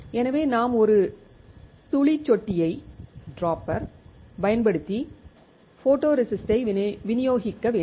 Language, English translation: Tamil, So, then we have to dispense the photoresist using a dropper